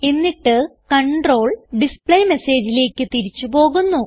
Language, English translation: Malayalam, Then the control goes back to the displayMessage